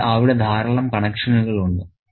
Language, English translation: Malayalam, So, there are lots of connections here